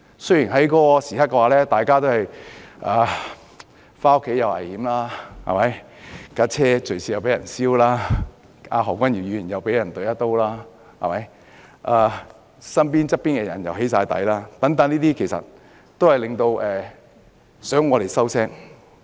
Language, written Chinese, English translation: Cantonese, 大家當時回家亦有危險，車輛又會隨時被焚燒，而何君堯議員更被插了一刀，身邊的朋友全皆被"起底"，但凡此種種，其實是想我們噤聲。, During that time it might also be dangerous for us to return home because there could be arson attacks aimed at our vehicles anytime . And Dr Junius HO was even stabbed on the chest and the people around us had all fallen victim to doxxing . All this was aimed to silence us all